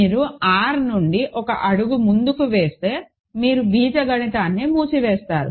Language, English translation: Telugu, Just you go one step more from R you get algebraically closed